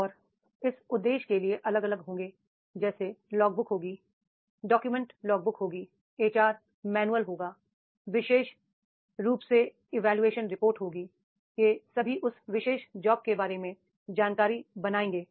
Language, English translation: Hindi, And for this purpose there will be the different like logbook will be there, document will be the HR manual document will be the appraisal reports especially all these will create that particular information about that particular job